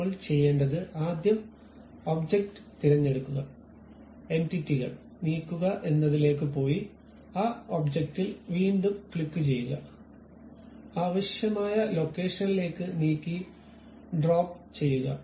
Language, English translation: Malayalam, What you have to do is first select that object, go to Move Entities again click that object, move to your required location drag and drop it